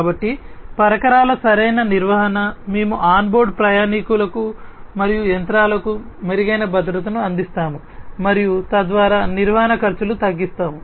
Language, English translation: Telugu, So, proper maintenance of the equipment, we will provide improved safety to both the onboard passengers and the machines and thereby reducing the maintenance expenses